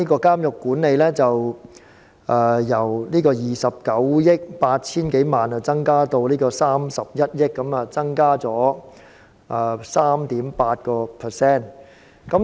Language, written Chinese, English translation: Cantonese, 監獄管理的開支預算由29億 8,000 多萬元增至31億元，增加了1億元，增幅為 3.8%。, The expenditure on prison management increases from 2.98 billion to 3.1 billion representing a 3.8 % increase of 1,100 million